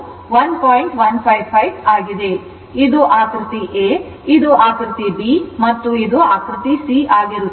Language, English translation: Kannada, So, this is for figure c for figure a and figure b right